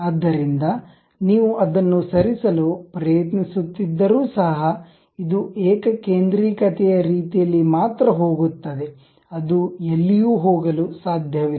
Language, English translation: Kannada, So, even if you are trying to move that one, this one goes only in the concentric way, it cannot go anywhere